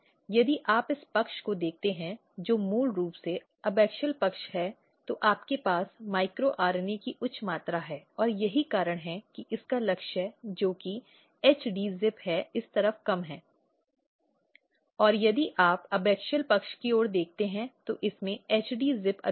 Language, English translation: Hindi, So, if you look this side which is basically abaxial side and what happens that you have high amount of micro RNAs and that is why its target which is HD ZIP is low at this side, and if you look towards the adaxial side, it is having high amount of HD ZIP and low amount of micro RNA